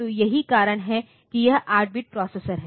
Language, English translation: Hindi, So, that is why this is an 8 bit processor